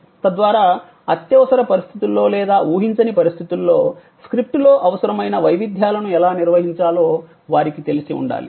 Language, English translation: Telugu, So, that they know how to handle the variations needed in the script in case of an emergency or in case of an unforeseen situation